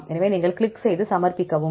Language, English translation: Tamil, So, and if you click on submit